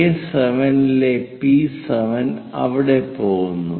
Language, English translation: Malayalam, P7 on A7 goes there